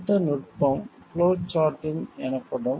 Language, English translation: Tamil, Next technique is called flow charting